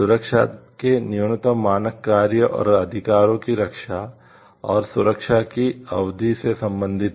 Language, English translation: Hindi, The minimum standards of protection relate to the works and rights to be protected and the duration of protection